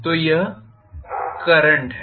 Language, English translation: Hindi, So this is the current